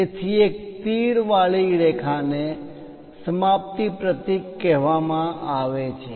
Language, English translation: Gujarati, So, a line with an arrow is called termination symbol